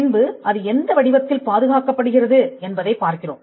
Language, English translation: Tamil, Then we look at the form by which it is protected